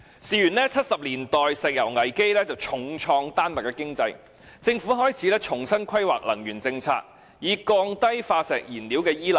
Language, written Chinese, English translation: Cantonese, 事緣1970年代石油危機重創丹麥的經濟，政府開始重新規劃能源政策，以減少對化石燃料的依賴。, It all started in the 1970s when the oil crisis dealt a severe blow to the Danish economy so much so that the Danish Government began to develop afresh its energy policy to minimize its reliance on fossil fuel